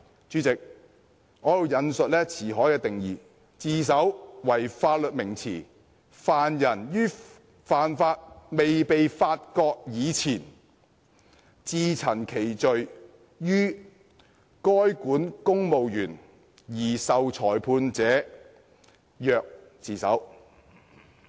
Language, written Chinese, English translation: Cantonese, 主席，《辭海》對自首的定義，"'自首'為法律名詞，犯人於犯罪未被發覺以前，自陳其罪於該管公務員而受裁判者，曰自首。, President Ci Hai defines surrender as I quote a legal term; an offender confesses his offence to relevant authorities and accepts judgment prior to the discovery of the offence